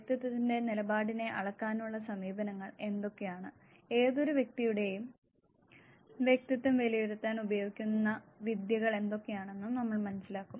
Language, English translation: Malayalam, What are the measure approaches to on the standing of personality, and we will also come across what are the techniques used to assess personality of any individual